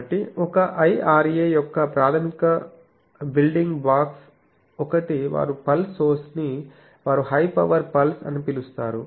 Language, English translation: Telugu, So, basic building blocks of an IRA, one is a pulser that they call that pulse source it is a high power pulse